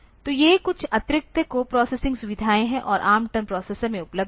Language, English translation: Hindi, So, these are some additional co processing facilities and available in ARM 10 processors